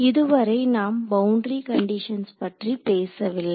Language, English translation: Tamil, So, far we have not spoken about boundary conditions right